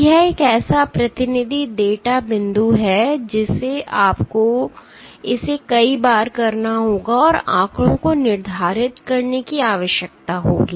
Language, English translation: Hindi, So, this is one such representative data point you have to do it multiple numbers of times and need to determine the statistics